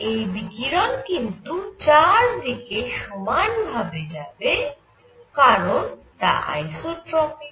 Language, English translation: Bengali, And this radiation is going all around because isotropic